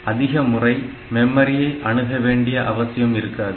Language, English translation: Tamil, So, you do not have to do so many memory accesses